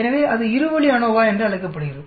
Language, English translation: Tamil, So that is called a 2 way ANOVA